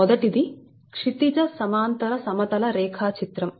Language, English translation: Telugu, it is on the horizontal plane